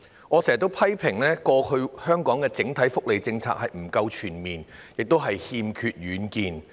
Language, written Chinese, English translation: Cantonese, 我經常批評香港過往的整體福利政策不夠全面，亦欠缺遠見。, I often criticize that the overall welfare policy of Hong Kong in the past was neither comprehensive nor visionary